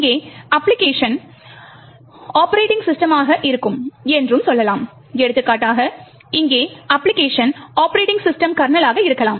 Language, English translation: Tamil, Let us say the application here would be the operating system and say for example the application here for example could be the Operating System Kernel